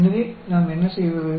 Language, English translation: Tamil, So, what do we do